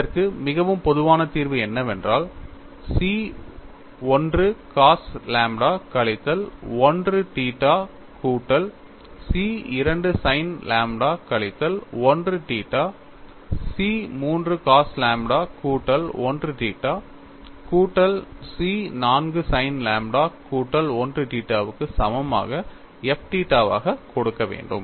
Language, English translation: Tamil, So, I get the second expression as C 1 cos lambda minus 1 alpha minus C 2 sin lambda minus 1 alpha plus C 3 cos lambda plus 1 alpha minus C 4 sin lambda plus 1 alpha that is equal to 0